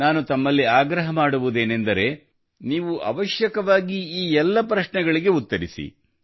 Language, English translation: Kannada, I urge you to answer all these questions